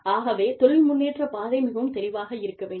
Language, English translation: Tamil, So, the career progression path, should be clear